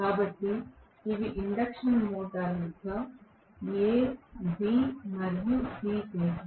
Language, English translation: Telugu, Similarly, these are the induction motor terminals a, b and c, okay